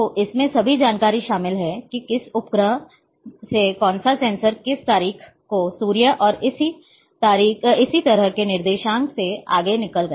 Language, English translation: Hindi, So, this contains all the information about from which satellite which sensor which date what was the coordinates of sun and so and so forth